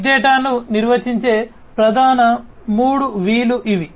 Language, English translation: Telugu, So, these are the main 3 V’s of defining big data